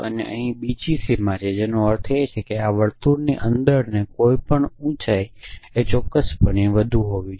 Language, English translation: Gujarati, And another boundary here and the meaning of this is that anybody inside anything inside the any circle is definitely tall necessarily tall